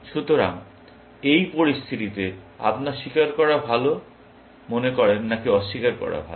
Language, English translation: Bengali, So, in this situation, you think it is good to confess, or is it good to deny